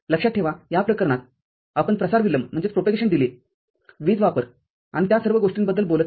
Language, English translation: Marathi, Remember, in this case, we are not talking about the propagation delay, power consumption and all those things